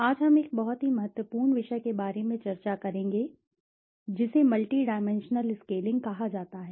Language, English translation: Hindi, Today, we will be discussing about a very important topic which is called multi dimensional scaling